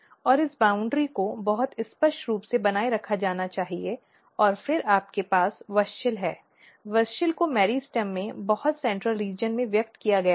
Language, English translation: Hindi, And this boundary has to be maintained very clearly and then you have WUSCHEL, WUSCHEL is expressed in the very center region of the meristem